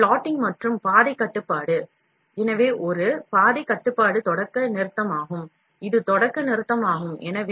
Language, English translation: Tamil, So, plotting and the path control, so a path control is start stop, this is start stop